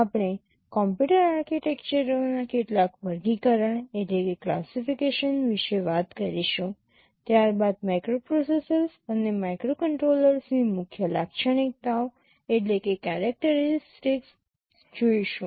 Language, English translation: Gujarati, We shall be talking about some classification of computer architectures, followed by the main characteristic features of microprocessors and microcontrollers